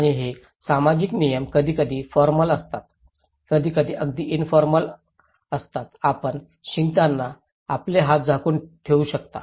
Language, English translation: Marathi, And these social norms are sometimes formal, sometimes very informal like you can put cover your hands when you were sneezing